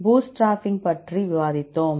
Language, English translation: Tamil, Then we discussed about the bootstrapping